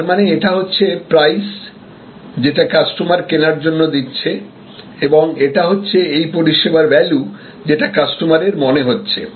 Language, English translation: Bengali, So, this can be kind of the price at which the customer is buying and this is the value as perceived by the customer